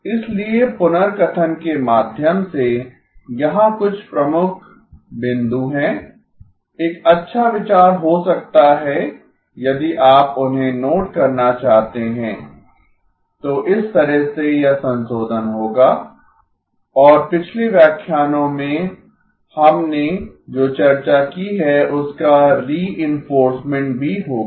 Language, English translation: Hindi, So by way of recap, here are some key points may be a good idea if you want to note them down, that way it will be revision and also a reinforcement of what we have discussed in the last lectures